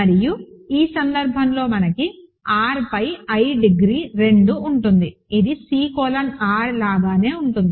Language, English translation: Telugu, And in this case we have degree of i over R is 2, which is also same as C colon R, ok